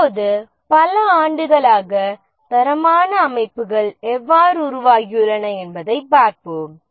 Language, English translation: Tamil, Now let's see how the quality systems have evolved over years